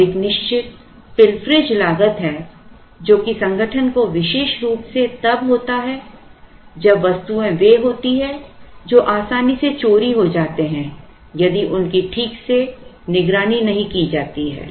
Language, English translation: Hindi, And there is a certain pilferage cost that the organization has to occur particularly when they are metals tend to be easily stolen if they are not properly watched